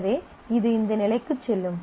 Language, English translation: Tamil, So, it will go to this level